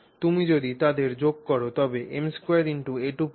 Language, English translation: Bengali, So if you add them you have m square a square